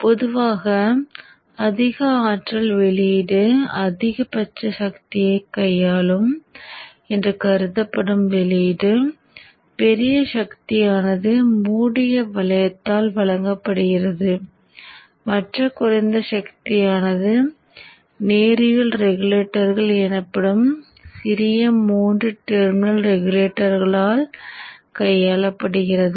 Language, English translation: Tamil, So normally the highest power output that is supposed to handle the maximum power the large power is done is given by close loop the other low power ones are handled by small three terminal regulators called linear regulators